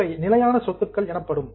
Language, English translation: Tamil, So, these are fixed assets